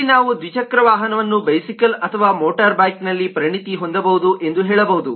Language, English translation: Kannada, then we can say that two wheeler in turn could be specialized into a bicycle or a motorbike